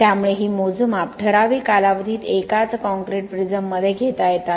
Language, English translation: Marathi, So these measurements can be taken in the same concrete prism over a period of time